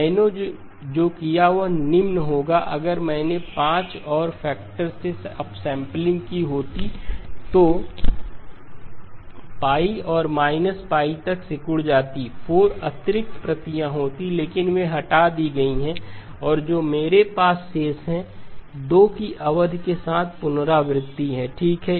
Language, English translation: Hindi, What I would have done is the following, if I had done upsampling by a factor of 5, pi and minus pi would have shrunk to pi by 5 to minus pi by 5, there would have been 4 additional copies but those got removed and what I am left with is the repetition with the period of 2pi okay